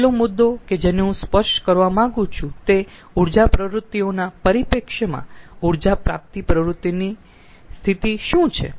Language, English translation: Gujarati, the last topic which i like to touch upon is that what is the, what is the position of energy recovery activity in the perspective of energy activities